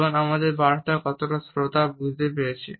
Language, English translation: Bengali, For example, how much of our message has been understood by the listener